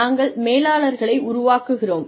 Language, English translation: Tamil, And, we develop managers